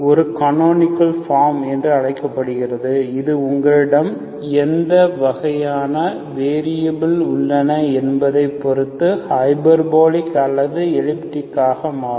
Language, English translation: Tamil, So the transformed equation becomes of this type, this is called a canonical form, that is either hyperbolic or elliptic depending on what kind of variables you have